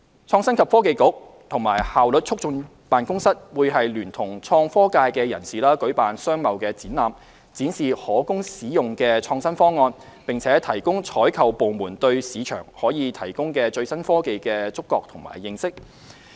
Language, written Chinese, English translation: Cantonese, 創新及科技局和效率促進辦公室會聯同創科界人士舉辦商貿展覽，展示可供使用的創新方案，並提高採購部門對市場可提供的最新科技的觸覺和認識。, The Innovation and Technology Bureau and the Efficiency Office will line up with innovation and technology industry players to organize trade shows to showcase available innovative solutions and enhance the awareness and knowledge of procuring departments of the latest technology that can be sourced from the market